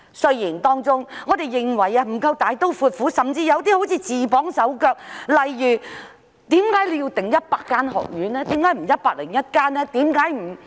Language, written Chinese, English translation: Cantonese, 雖然我們認為當中有些不夠大刀闊斧，甚至好像自綁手腳，例如為何要訂定100間學院，而不是101間呢？, However we think that some of the amendments are not drastic enough and it even seems that the Government is binding its hands . For instance why are 100 instead of 101 medical schools designated?